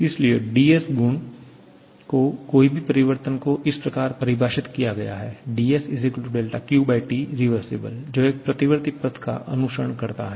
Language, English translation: Hindi, So, the change in any property dS is defined as the quantity del Q/T following a reversible path